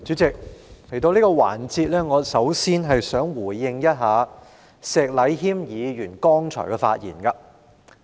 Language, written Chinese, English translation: Cantonese, 主席，來到這個環節，首先我想回應石禮謙議員剛才的發言。, Chairman coming to this session first of all I wish to respond to the speech given by Mr Abraham SHEK just now